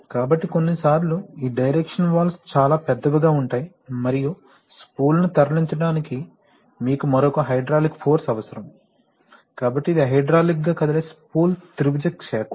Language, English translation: Telugu, So, the sometimes this direction valves can be very large and to move the spool itself you need another hydraulic force, so this is the hydraulically moves spool triangle field